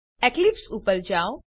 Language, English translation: Gujarati, So switch to Eclipse